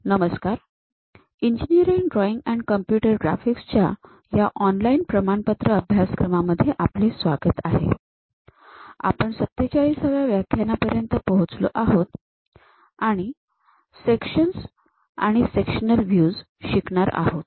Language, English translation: Marathi, ) Hello everyone, welcome to our online certification courses on Engineering Drawing and Computer Graphics; we are at lecture number 47, learning about Sections and Sectional Views